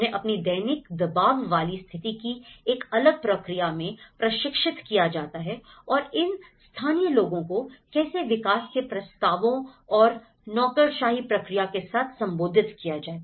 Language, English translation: Hindi, So, they are trained in a different process of their daily pressurized situation of approving and but then how these locals, because they are heavily burden with lot of development proposals and the process the bureaucratic process